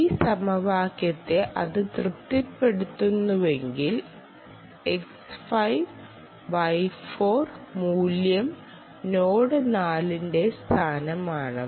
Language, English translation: Malayalam, if it satisfies this equation, that value x, y, x, four, y, four, is the location of the node four